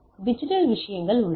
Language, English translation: Tamil, So, we have digital things